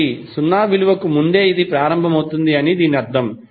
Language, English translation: Telugu, So that means that it is starting before the 0 value